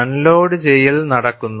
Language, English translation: Malayalam, Unloading takes place